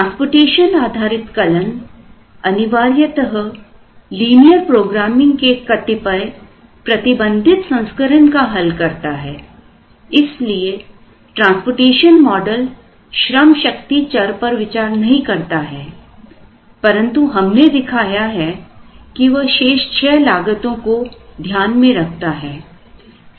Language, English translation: Hindi, The transportation based algorithms essentially solving a certain restricted version of the linear programming, the transportation model did not consider variable workforce, but we showed that it could consider the six remaining costs